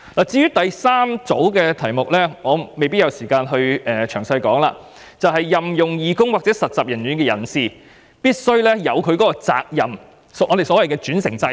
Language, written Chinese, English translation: Cantonese, 至於第三組修正案，我可能沒有時間詳細說明，是關於任用義工或實習人員的人士必須承擔責任，即歧視法例所訂的轉承責任。, As regards the third group of amendments I may not have time to go into the details . It is concerned with the liability of persons engaging volunteers or interns that is the vicarious liability provided under the discrimination legislation